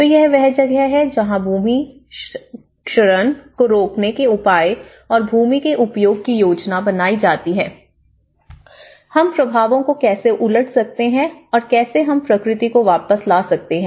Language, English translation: Hindi, So, this is where the land use planning and measures to reverse the land degradation, you know how we can reverse the impacts and how we can bring back the nature